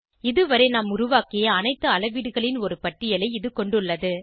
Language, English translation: Tamil, It has a list of all the measurements made so far